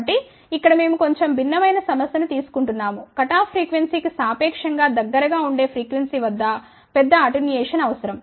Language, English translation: Telugu, So, here we are taking a little different problem in a sense that a larger attenuation is require at relatively closer frequency to the cut off frequency